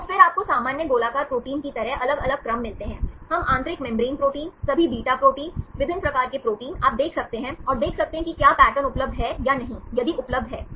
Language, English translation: Hindi, So, then you get the different sequences like normal globular proteins, we can see the inner membrane proteins, all beta proteins, different type of proteins you can construct and see whether is the pattern is available or not, if available